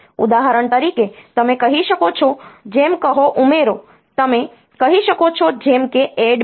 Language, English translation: Gujarati, For example, you can say like say add you can say like say ADD B